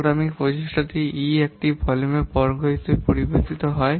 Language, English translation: Bengali, The programming effort it varies as the square of the volume